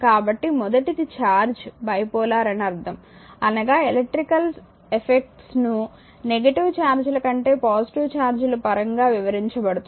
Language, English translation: Telugu, So, will come to that the first one is the charge is bipolar, meaning that electrical effects are observed in your are describe in terms of positive than negative charges right